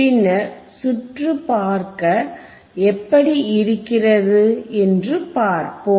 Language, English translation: Tamil, And then we will see how the circuit looks